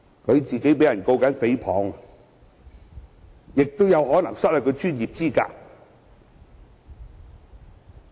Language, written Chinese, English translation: Cantonese, 他現時也被人控告誹謗，更有可能因而失去專業資格。, The Member concerned is now being sued for defamation and may end up losing his professional qualification